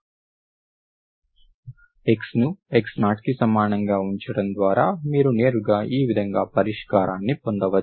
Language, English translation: Telugu, Okay, by putting by x is equal to x0, that is how you can directly get the solution like this